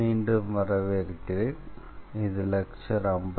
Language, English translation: Tamil, So, welcome back and this is lecture number 53